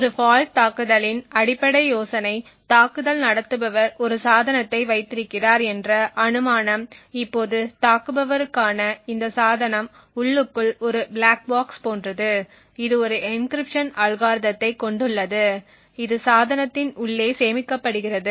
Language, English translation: Tamil, So, the basic idea of a fault attack is something like this, the assumption is that the attacker has in position a device now this device for the attacker is like a black box internally it has an encryption algorithm which is stored inside the device